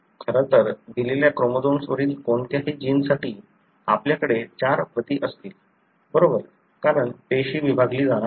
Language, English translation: Marathi, In fact, for any gene on a given chromosome, in this you would have four copies, right, because the cell is about to be divided